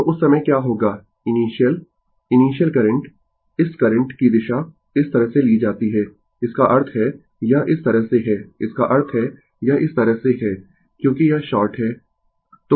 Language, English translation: Hindi, So, at that time what will happen your initial current this current direction is taken like this; that means, it is like this; that means, it is like this because it is short